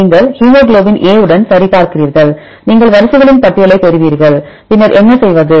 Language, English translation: Tamil, You check with the hemoglobin A you will get a list of sequences then list of sequences, then what to do